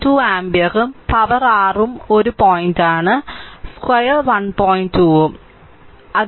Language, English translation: Malayalam, 2 ampere and power it is your o1ne point, i square r 1